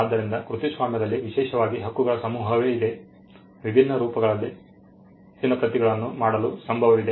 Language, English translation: Kannada, So, the set of exclusive right in copyright pertain to making more copies in different forms